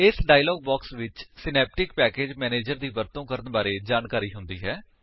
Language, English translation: Punjabi, This dialogue box has information on how to use Synaptic package manager